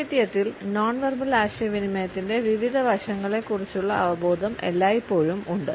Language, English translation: Malayalam, In literature and awareness of different aspects of nonverbal communication has always been there